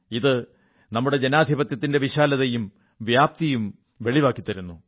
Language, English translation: Malayalam, This stands for the sheer size & spread of our Democracy